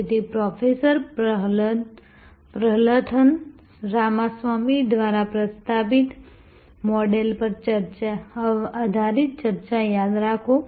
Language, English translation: Gujarati, So, remember that discussion based on the models proposed by Professor Prahalathan Ramaswamy